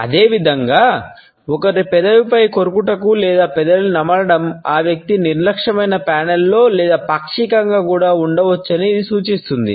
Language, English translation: Telugu, Similarly, we find that biting on one’s lips or chewing on the lip, it is also an indication that the person may be lying either in a blatent panel or even in partially